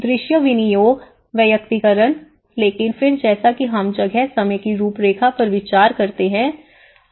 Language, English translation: Hindi, Visual appropriateness, personalization but then as we consider the space time framework